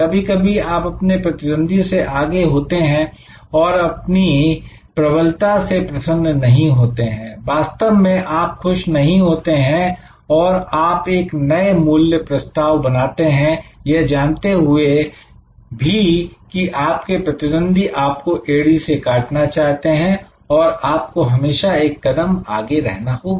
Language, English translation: Hindi, Some time you should be I ahead of your competitors and not become pleasant if you are in a dominant position do not actually become pleasant you create new value proposition is respective of what where you are knowing that your competitors are always biting at your heels, so therefore, you need to be always one up